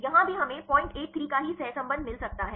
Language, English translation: Hindi, Here also we could get the same correlation of 0